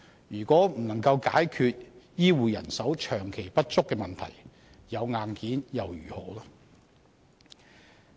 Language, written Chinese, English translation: Cantonese, 如果不能解決醫護人手長期不足的問題，有硬件又如何？, If the problem of long - term shortage of health care manpower cannot be solved what is the point of having the hardware?